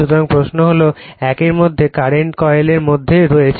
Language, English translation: Bengali, So, question is in between one , between your current coil is there